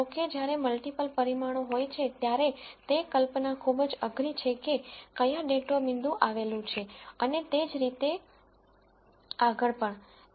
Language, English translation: Gujarati, However, when there are multiple dimensions it is very di cult to visualize where the data point lies and so on